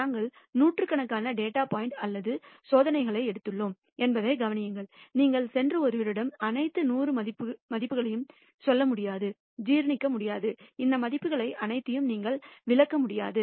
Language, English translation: Tamil, Notice that we have taken hundreds of data points or experiments, you cannot go and tell somebody all the hundred values, you cannot reel off all these values that will not be possible for somebody to digest